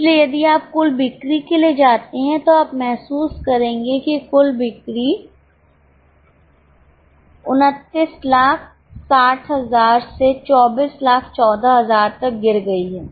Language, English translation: Hindi, So, if you go for total sales, you will realize that even total sales have fallen from 29 60,000 to 24 14,000